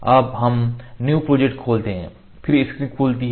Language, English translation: Hindi, Now we open the new project the projects we open the new project then screen opens